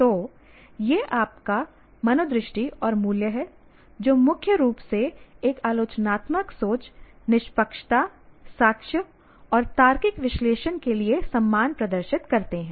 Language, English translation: Hindi, So, your attitudes and values concerned mainly with demonstrating respect for a critical thinking, objectivity, evidence and logical analysis